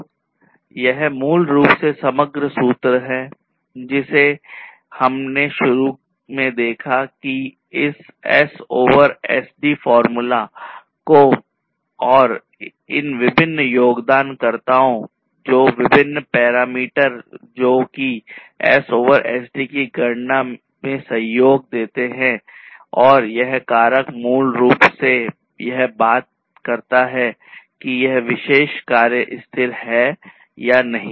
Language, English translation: Hindi, So, this is basically the overall formula that we wanted to arrive at to start with we have looked at this S over SD formula and these are these different contributors to the different parameters that contribute to this computation of S over SD and this factor basically talks about whether a particular effort is sustainable or not